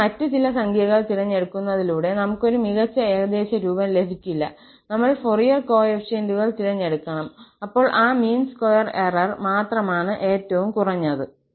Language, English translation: Malayalam, We cannot have a better approximation by choosing some other numbers here, we have to choose the Fourier coefficients then only this mean square error is going to be a minimum